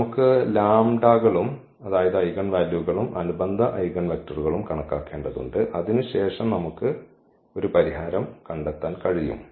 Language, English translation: Malayalam, We need to just compute the lambdas and the eigenvalues eigenvectors and then we can find a solution